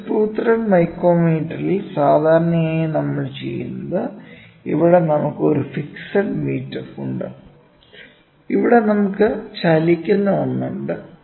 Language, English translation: Malayalam, Screw thread micrometer generally what we do is we take a screw thread micrometer and here we have a fixed one and here we have a moving one